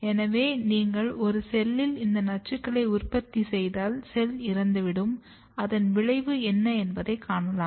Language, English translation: Tamil, So, if you produce this toxins in a cell, the cell will be killed and then you see what is the effect